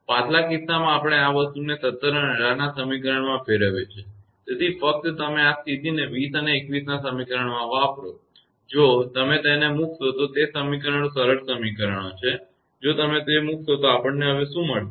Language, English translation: Gujarati, The previous case; we substitute this thing equation 17 and 18; so, just you use this condition in equation 20 and 21; if you just put it those equations are simple equations; if you put that one then what we will get